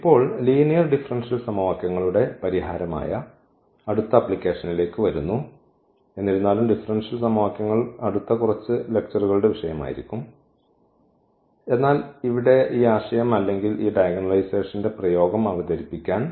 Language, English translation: Malayalam, Now, coming to the next application which is the solution of the system of linear differential equations though the differential equations will be the topic of the next few lectures, but here just to introduce the idea of this or the application of this diagonalization